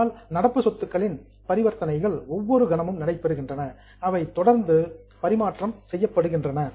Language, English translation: Tamil, But current assets transaction every day, every moment in every moment they are continuously being exchanged